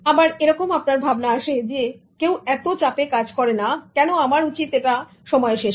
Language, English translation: Bengali, And then the thinking that nobody is in a rush, why should I do it in time